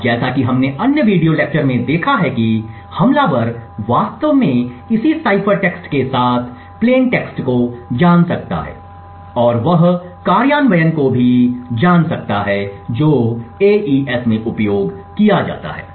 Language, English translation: Hindi, Now as we have seen in the other video lectures an attacker may actually know the plain text with a corresponding cipher text and he may also know the implementation which is used in AES